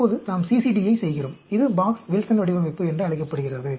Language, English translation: Tamil, Now, let us do the CCD, which is called the Box Wilson design